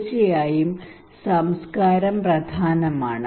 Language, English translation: Malayalam, Of course culture is an important